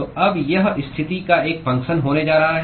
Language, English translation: Hindi, So, now that is going to be a function of position